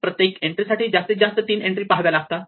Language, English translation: Marathi, Each entry only requires you to look at most do three other entries